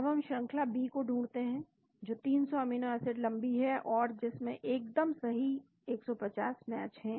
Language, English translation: Hindi, Now, we find the sequence B which has 300 amino acids is long containing a region 150 match exactly